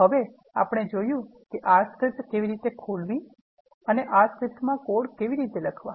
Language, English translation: Gujarati, So now, we have seen how to open an R script and how to write some code in the R script file